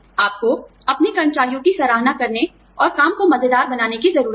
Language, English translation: Hindi, You need to show, appreciation to your employees, and make work, fun